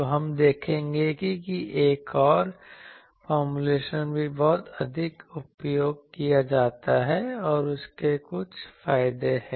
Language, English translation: Hindi, So, this we will see that another formulation is also very much used and that has certain advantages